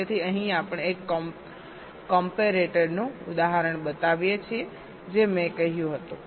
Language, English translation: Gujarati, so here we show the example of a comparator, as i had said